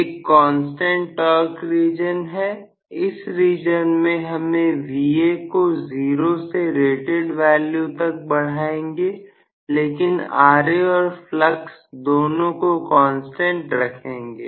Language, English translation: Hindi, One is constant torque zone in this case we are going to have Va increasing from zero to rated value but I will have Ra and flux both are constant